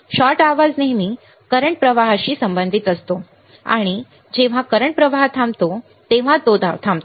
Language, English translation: Marathi, Shot noise always associated with current flow and it stops when the current flow stops